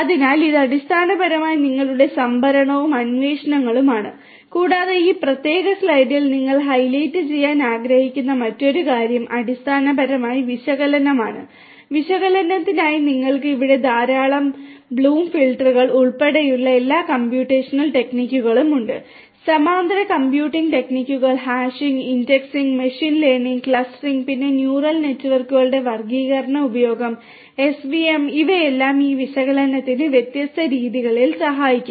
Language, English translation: Malayalam, So, this is basically your storage and queries and so on and the other thing that you like to highlight in this particular slide is basically the analysis, for analysis you have large number of all these computational techniques that are there, including use of bloom filters, parallel computing techniques, hashing indexing, machine learning, clustering, then classification use of neural networks SVM all of these can help in different ways for this analysis